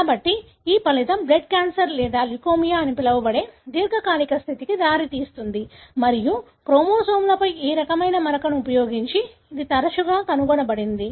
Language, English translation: Telugu, So, this result in a very chronic condition called the blood cancer or leukemia and this is often detected using this kind of staining on the chromosomes